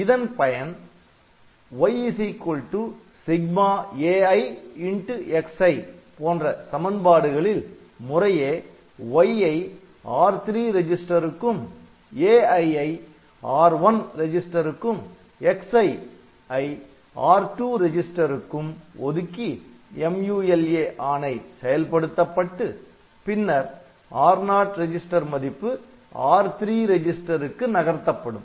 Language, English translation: Tamil, So, what I can do I can allocate this y to say R3 and then this a i to these R1 registers and x i to R2 registers and then I can do this MULA and then after that we move this R0 register value to R3 register